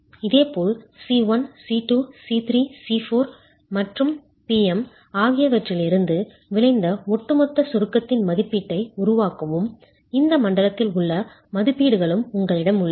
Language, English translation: Tamil, Similarly make an estimate of the overall compression resultant C1, C2, C3, C4 plus PM, and you have the estimates within this zone also